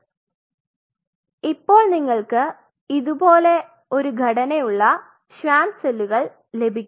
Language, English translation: Malayalam, So, now once you get the Schwann cells which are like kind of this kind of shape